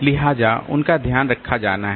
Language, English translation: Hindi, So, that has to be taken care of